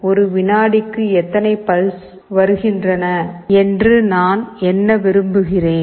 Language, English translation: Tamil, Suppose, I want to count, how many such pulses are coming per second